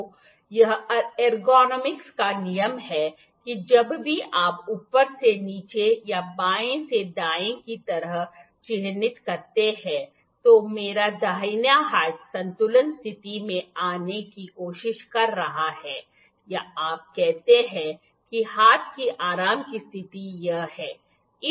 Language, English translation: Hindi, So, this is the rule of ergonomics that whenever you mark like I said top to bottom or from left to right, my hand my right hand is trying to come into the equilibrium position equilibrium or you say relax position the relax position of hand is this